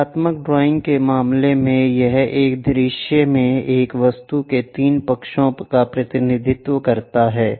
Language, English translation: Hindi, In the case of pictorial drawing it represents 3 sides of an object in one view